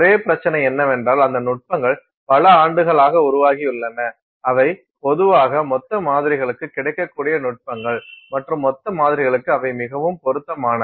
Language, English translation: Tamil, The only issue is that those techniques have evolved over the years and they have typically been used for bulk samples, techniques available, more readily suited for bulk samples